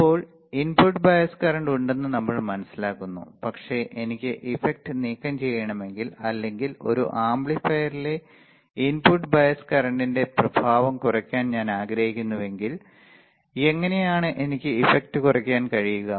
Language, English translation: Malayalam, Now, we understand input bias current is there, but if I want to remove the effect or if I want to minimize the effect of the input bias current in an amplifier, this is how I can minimize the effect